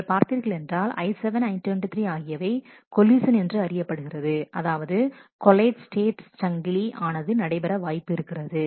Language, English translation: Tamil, So, you can see that on I 7 and I 23 there is a collision and there is collate state chain happening on that